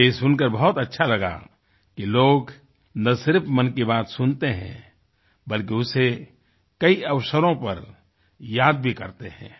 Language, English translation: Hindi, I was very happy to hear that people not only listen to 'Mann KI Baat' but also remember it on many occasions